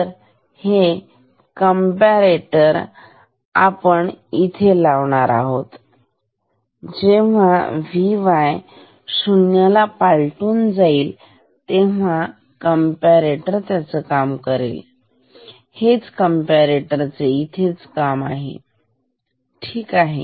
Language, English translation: Marathi, So, this comparator is put here to see, when V y crosses 0, the purpose of the comparator is this, ok